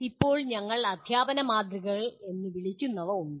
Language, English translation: Malayalam, Now there are what we call models of teaching